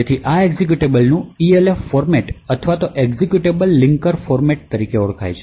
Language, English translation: Gujarati, So, this executable has a particular format known as the ELF format or Executable Linker Format